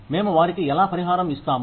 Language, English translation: Telugu, How do we compensate them